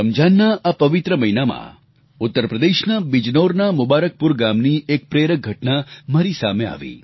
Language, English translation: Gujarati, In this holy month of Ramzan, I came across a very inspiring incident at Mubarakpur village of Bijnor in Uttar Pradesh